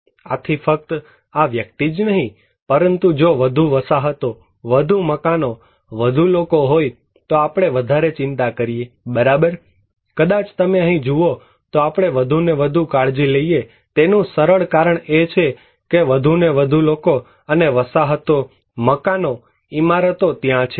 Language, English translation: Gujarati, So, it is not only this person but if we have more settlements, more houses, more people we care more right, maybe here you look, we care more and more because the simple reason is that more and more people and settlements, houses, buildings are there